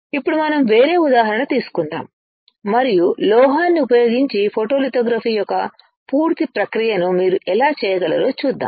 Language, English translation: Telugu, And now we will take a different example and we will see how can you do a complete process of photolithography using a metal